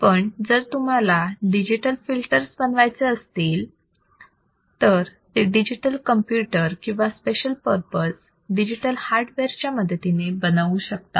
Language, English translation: Marathi, Second, digital filters are implemented using digital computer or special purpose digital hardware